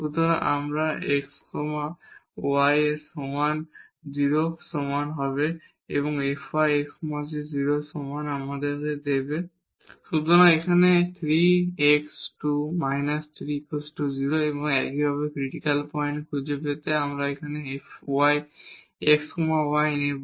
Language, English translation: Bengali, So, this f x is equal to 0 and f y is equal to 0 will give us; so, here the 3 x square and then with respect to x